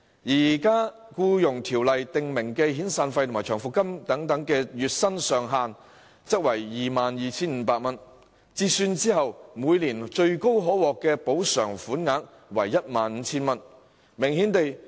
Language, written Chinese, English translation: Cantonese, 現時《僱傭條例》訂明，遣散費和長服金的月薪上限為 22,500 元，折算後每年最高可獲補償為 15,000 元。, Currently EO stipulates that the monthly wage governing the severance and long service payments is capped at 22,500 which means that the maximum amount of compensation receivable is upon conversion 15,000 per annum